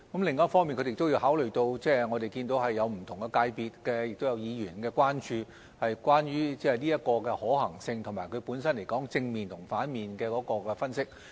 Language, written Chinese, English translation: Cantonese, 另一方面，積金局也要考慮到不同界別和議員的關注、這項建議的可行性，以及其本身正面與反面的分析。, Also MPFA must consider the concerns of different sectors and Members and the feasibility and pros and cons of this proposal